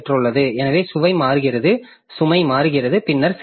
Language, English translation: Tamil, So, if the load is changing, then there will be difficulty